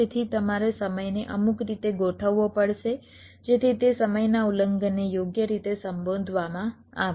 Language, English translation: Gujarati, so you may have to adjust the timing in some in some way so that those timing violations are addressed right